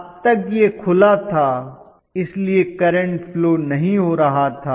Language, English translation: Hindi, Until now it was open, so there was no current flow